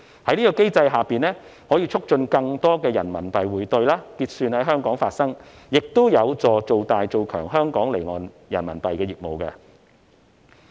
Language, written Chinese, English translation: Cantonese, 這個機制可以促進更多人民幣匯兌、結算在香港發生，亦有助做大、做強香港離岸人民幣業務。, This mechanism can encourage more RMB remittance and settlement to be conducted in Hong Kong and help our offshore RMB business to further develop and prosper